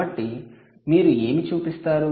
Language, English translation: Telugu, so what would you show